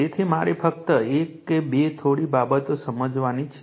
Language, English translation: Gujarati, So, I just we have to understand one or two few things right